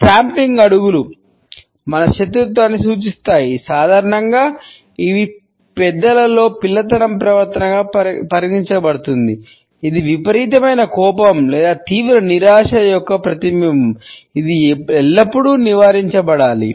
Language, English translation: Telugu, A stomping feet suggests our hostility normally it is considered to be a childish behaviour and in adults; it is a reflection of an extreme anger or an extreme disappointment which should always be avoided